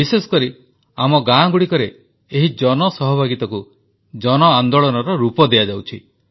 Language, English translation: Odia, Especially in our villages, it is being converted into a mass movement with public participation